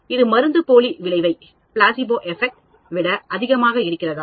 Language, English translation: Tamil, Is it much more than a placebo effect